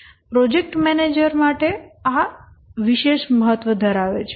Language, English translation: Gujarati, These are of special importance to the project manager